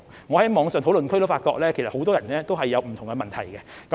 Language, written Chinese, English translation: Cantonese, 我在網上的討論區也發現，很多人也有不同的問題。, I have noticed from the online discussion forums that people have raised different questions